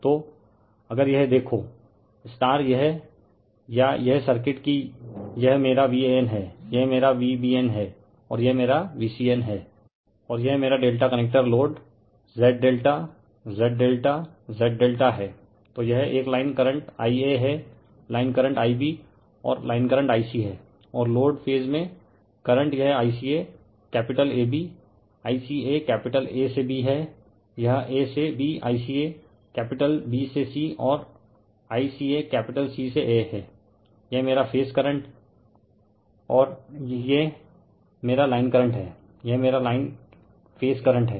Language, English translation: Hindi, So, if you look into this or this circuit that your this is my V an, this is my V bn and this is my V cn and this is my delta connector load Z delta, Z delta, Z delta So, this is a line current I a right this is line current I b and this is line current I c right and in the load phase current this is I capital AB, I capital A to B, this is A to B I capital B to C and I capital C to A right, this is my your what you call my your phase current right and this is my line current, this is my line phase current